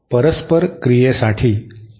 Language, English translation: Marathi, This is the condition for reciprocity